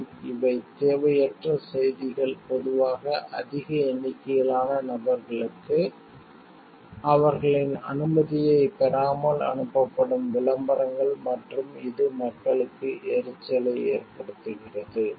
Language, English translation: Tamil, Spam these are unwarranted messages usually advertisement sent to a large number of people, without taking their permission and which really becomes irritation for people